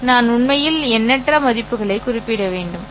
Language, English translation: Tamil, I should actually specify an infinite number of values, right